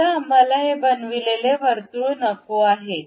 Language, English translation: Marathi, Now, we do not want this inscribed circle